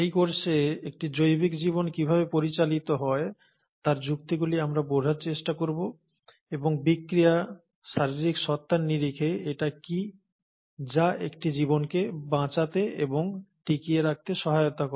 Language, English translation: Bengali, Hence, in this course, we’ll try to understand the logics of how a biological life is governed, and what is it in terms of reactions, in terms of physical entities, which help a life to survive and sustain